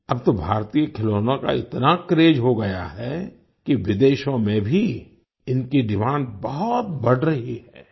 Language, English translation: Hindi, Nowadays, Indian toys have become such a craze that their demand has increased even in foreign countries